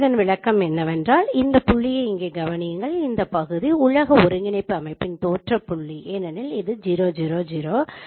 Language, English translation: Tamil, Note here this point, this part is the origin of the world coordinate system because this is a 0